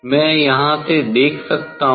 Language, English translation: Hindi, I can see from here